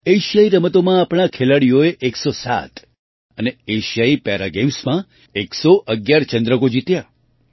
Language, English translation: Gujarati, Our players won 107 medals in Asian Games and 111 medals in Asian Para Games